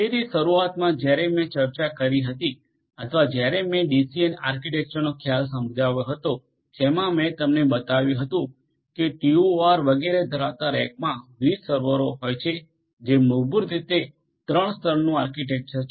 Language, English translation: Gujarati, So, essentially at the outset when I discussed or when I explained the concept of a DCN the architecture that I had showed you consisting of different servers in a rack having TOR etcetera etcetera that is basically 3 tier architecture